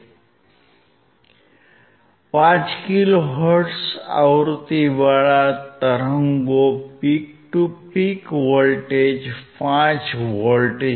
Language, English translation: Gujarati, At 5 kilohertz peak to peak voltage is 5 volts